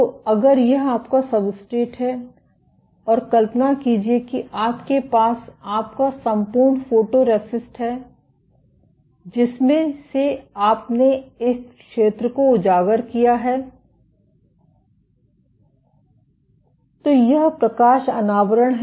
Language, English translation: Hindi, So, if this is your substrate and imagine you have this is your entire photoresist of which you have exposed this zone to light this is light exposure